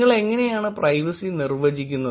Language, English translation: Malayalam, How you define privacy